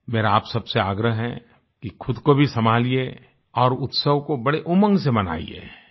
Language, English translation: Hindi, I urge all of you to take utmost care of yourself and also celebrate the festival with great enthusiasm